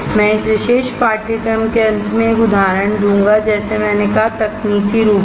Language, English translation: Hindi, I will give an example at the end of this particular course like I said, technically